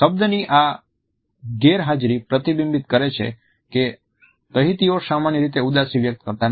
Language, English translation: Gujarati, This absence of a word reflects that Tahitians do not typically express sadness